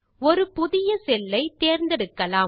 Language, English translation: Tamil, First let us select a new cell